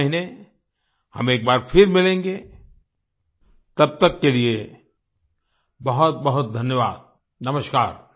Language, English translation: Hindi, We'll meet again next month, until then, many many thanks